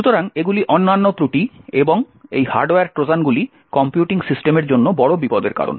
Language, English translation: Bengali, So, these are other flaws and these hardware Trojans are big threat to computing systems